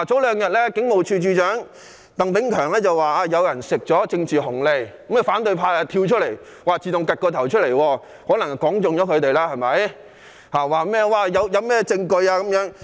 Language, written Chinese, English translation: Cantonese, 兩天前，警務處處長鄧炳強說有人獲取"政治紅利"，於是反對派跳出來——可能是說中了，所以他們對號入座——問他有沒有證據？, Two days ago Commissioner of Police Chris TANG said some people received political dividends . What Chris TANG said was probably true and so the opposition camp fitted itself into the picture and immediately asked him if he had any proof